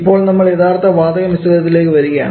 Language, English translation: Malayalam, Now, we go to the real gas mixtures